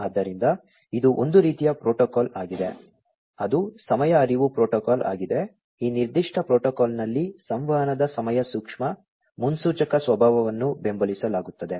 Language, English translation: Kannada, So, and it is sort of a protocol that is time ever, it is a time aware protocol, time sensitive predictive nature of communication is supported in this particular protocol